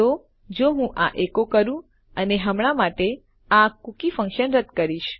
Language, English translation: Gujarati, So if I echo this out and get rid of this cookie function for now